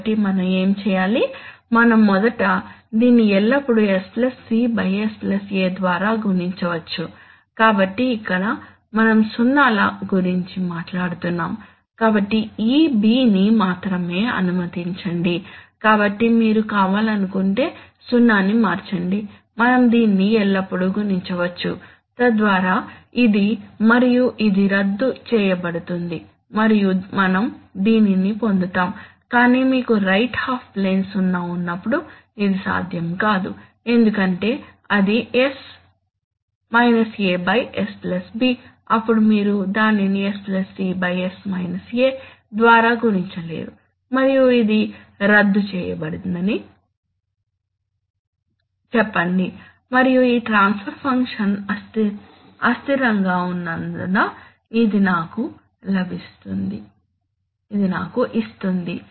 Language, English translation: Telugu, So then what do we do, so we first, we can always multiply it by s +c by s + a, so where this is we are talking about zeros, so let this b only, so if you want to change the 0, we can always multiply it, so that this and this will get cancelled and we will get this, but this is not possible when you have a right half plane 0 because if it is s a by s +b then you cannot multiply it by s + c by s a and say that this is cancelled and it will give me, give me this because this transfer function is unstable